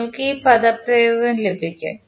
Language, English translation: Malayalam, You will get this expression